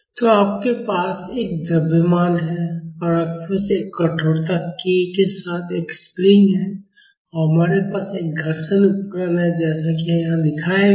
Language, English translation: Hindi, So, you have a mass and you have a spring with a stiffness k and we have a friction device as shown here